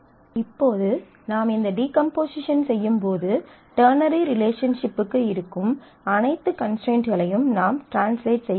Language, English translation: Tamil, Now while we do this decomposition we will also have to remember in that; we need to translate all constraints that are present for the ternary relationship